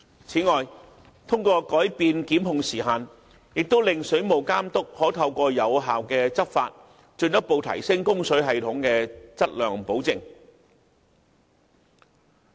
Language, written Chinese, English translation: Cantonese, 此外，藉着改變檢控時限，令水務監督可透過有效執法，進一步提升供水系統的質量保證。, Besides with the amendment in the time limit for instituting prosecutions the Water Authority is able to further enhance the quality assurance of water supply systems by effectively taking enforcement actions